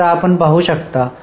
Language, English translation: Marathi, So now you can have a a look